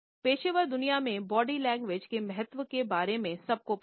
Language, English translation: Hindi, All of us are aware of the significance of body language in our professional world